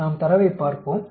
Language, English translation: Tamil, Let us look at the data